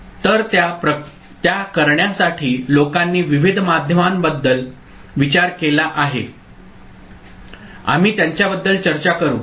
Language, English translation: Marathi, So, to do that, people have thought about various means, we shall discuss them